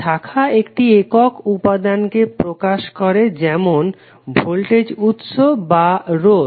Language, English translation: Bengali, Branch represents a single element such as voltage source or a resistor